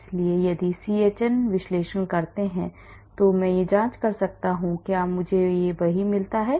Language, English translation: Hindi, So, if do a CHN analysis, I can cross check whether I get the same thing